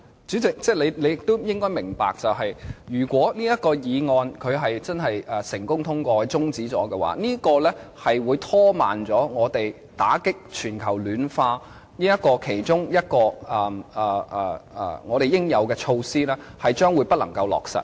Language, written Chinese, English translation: Cantonese, 主席，你也應該明白，如果這項議案成功通過，令相關擬議決議案的辯論中止，香港其中一項應對全球暖化的應有措施將不能落實。, President you must be aware that this motion if passed will have the effect of adjourning the debate on the proposed resolution . Hong Kong will then have to hold back a necessary measure of addressing global warming